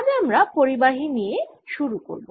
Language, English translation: Bengali, or we start with conductors